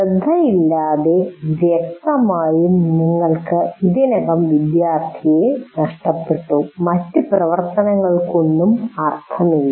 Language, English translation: Malayalam, And without attention, obviously, you already lost the student and none of the other activities will have any meaning